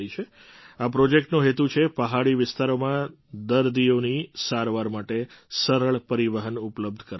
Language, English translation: Gujarati, The purpose of this project is to provide easy transport for the treatment of patients in hilly areas